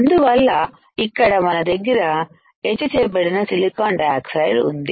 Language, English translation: Telugu, So, here the we have etched silicon dioxide